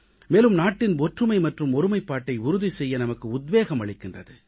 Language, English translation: Tamil, It also inspires us to maintain the unity & integrity of the country